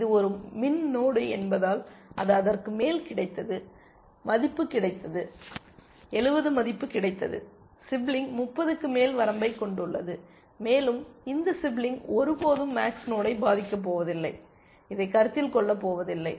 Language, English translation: Tamil, Because it is a min node, it is, it is got an upper, it is, it is value got a, got a value of 70, it is sibling has an upper bound of 30, and this sibling is never going to influence this max node, and it is going to not consider this at all